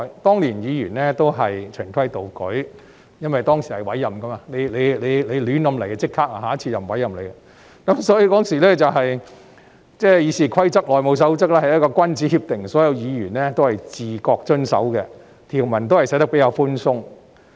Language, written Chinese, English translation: Cantonese, 當年議員均是循規蹈矩，因為當時是委任制度，如議員胡搞，下次便不會再獲委任，所以，當時的《議事規則》和《內務守則》是君子協定，所有議員都自覺地遵守，條文也寫得比較寬鬆。, Back then Members were all well - behaved because appointment system was adopted . If they made a mess in the Council they would not be appointed again . So RoP and HR were simply gentlemens agreements with relatively lenient provisions that all Members followed spontaneously